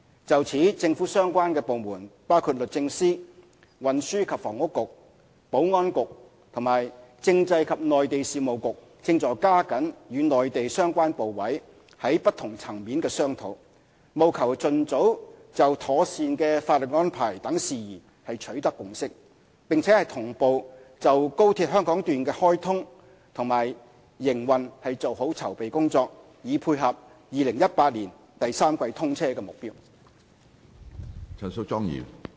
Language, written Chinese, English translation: Cantonese, 就此，政府相關部門包括律政司、運輸及房屋局、保安局和政制及內地事務局正在加緊與內地相關部委在不同層面的商討，務求盡早就妥善的法律安排等事宜取得共識，並同步就高鐵香港段的開通和營運做好籌備工作，以配合2018年第三季通車的目標。, In this connection the Department of Justice the Transport and Housing Bureau the Security Bureau and the Constitutional and Mainland Affairs Bureau have been pressing ahead the discussion with the relevant Mainland authorities at different levels with a view to reaching consensus on various issues including a proper legal arrangement as early as possible . At the same time we have been conducting preparation works for the commissioning and operation of the Hong Kong section of XRL in order to meet the target commissioning date of the third quarter of 2018